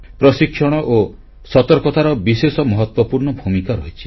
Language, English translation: Odia, Training and awareness have a very important role to play